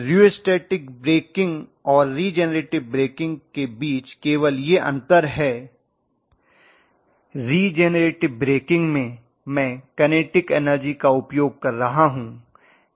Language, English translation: Hindi, Only difference between rheostatic breaking and regenerative breaking is, regenerative breaking I am utilizing the kinetic energy